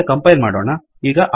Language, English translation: Kannada, Compile it again